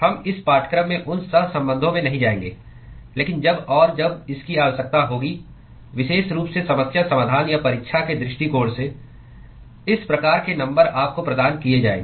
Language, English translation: Hindi, We will not go into those correlations in this course, but as and when it is required, particularly from the problem solving or exam point of view, these kinds of numbers will be provided to you